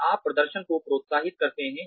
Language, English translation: Hindi, Then, you encourage performance